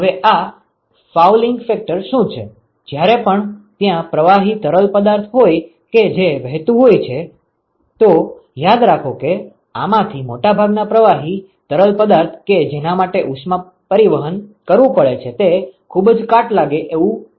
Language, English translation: Gujarati, Now what this fouling factor is, is that whenever there is a fluid which is actually going to flow through, so, remember that most of these fluids that for which heat transport has to be done they are very corrosive